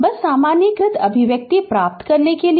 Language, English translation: Hindi, Just to get generalized expression right